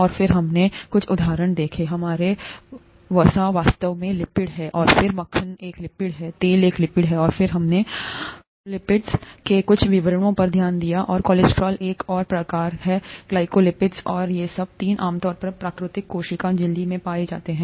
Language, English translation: Hindi, And then we saw a few examples, our fats are actually lipids, and then butter is a lipid, oil is a lipid, and then we looked at some of the details of phospholipids, and cholesterol and there is another type, glycolipids and all these three are commonly found in natural cell membranes